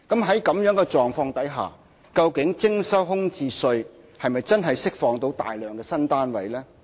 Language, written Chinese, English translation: Cantonese, 在這樣的狀況下，究竟徵收空置稅是否真的能釋放大量的新單位呢？, Under such circumstances will the introduction of vacant residential property tax release a large number of new flats?